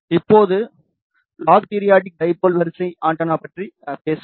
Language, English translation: Tamil, Now, let us talk about log periodic dipole array antenna